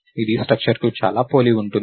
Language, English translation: Telugu, This is very similar to a structure, right